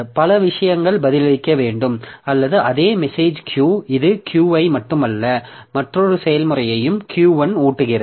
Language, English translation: Tamil, So, many things to be answered or maybe the same message Q it feeds not only Q but also another process Q1